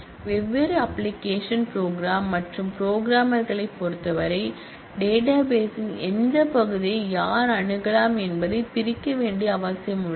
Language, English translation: Tamil, And also in terms of different application programs and programmers there is a need to separate out who can access which part of the database